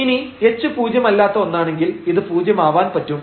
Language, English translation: Malayalam, If h is non zero again this can be 0